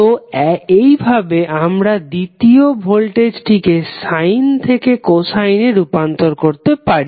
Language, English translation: Bengali, So, in this way you are converting the second voltage signal from sine to cosine